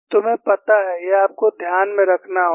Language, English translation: Hindi, You know, this, you will have to keep in mind